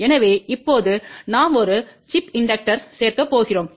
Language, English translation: Tamil, So, now we are going to add a chip inductor